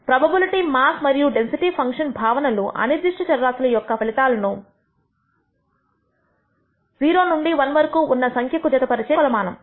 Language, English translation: Telugu, The notion of a probability mass or a density function is a measure that maps the outcomes of a random variable to values between 0 and 1